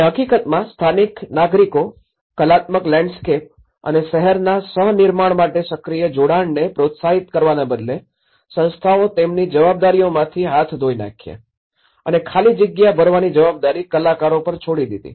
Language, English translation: Gujarati, And with the local citizens and in fact, rather than fostering active engagement for co creation of the artistic landscape and the city, the institutions washed their hands on their responsibilities leaving the artists to fill the gap